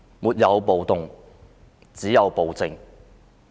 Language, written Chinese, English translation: Cantonese, 沒有暴動，只有暴政。, There is no riot but only tyranny